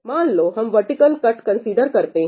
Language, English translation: Hindi, Let us just consider this vertical cut